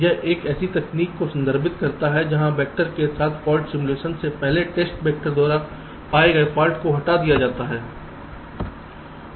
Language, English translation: Hindi, ok, it refers to a technique where the faults detected by test vector are removed prior to the fault simulation with any subsequent vector